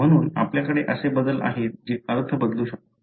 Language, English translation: Marathi, Therefore, you have changes that may change the meaning